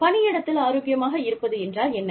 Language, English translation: Tamil, What does it mean, to be healthy, in the workplace